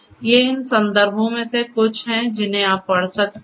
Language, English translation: Hindi, These are some of these references that you could refer to